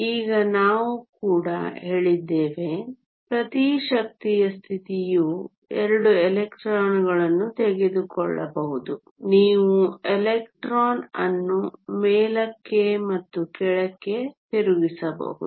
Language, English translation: Kannada, Now we also said that, each energy state can take 2 electrons right you can have a electron which spin up and spin down